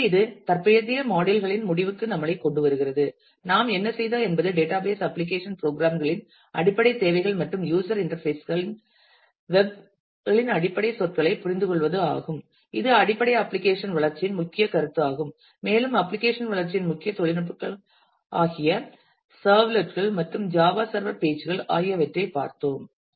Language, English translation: Tamil, So, in this that brings us to the end of this current modules; so, what we have done we have understood the basic requirements of database application programs and user interfaces understood the basic terminology of the web and took a look into the core notion, core technologies of application development which is in terms of the servlets and Java server pages